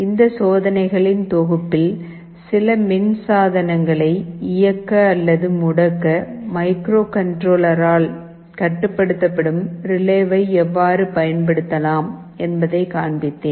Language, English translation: Tamil, In this set of experiments I showed you how we can use a relay controlled by a microcontroller to switch ON or OFF some electrical appliance